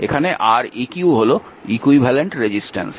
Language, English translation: Bengali, So, that Req is the equivalent resistance